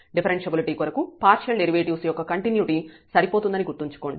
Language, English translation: Telugu, Remember that the continuity of partial derivatives is sufficient for differentiability